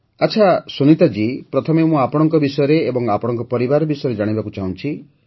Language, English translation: Odia, Okay Sunita ji, at the outset, I wish to know about you; I want to know about your family